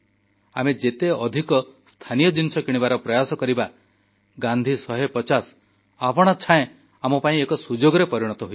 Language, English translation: Odia, The more we try to buy our local things; the 'Gandhi 150' will become a great event in itself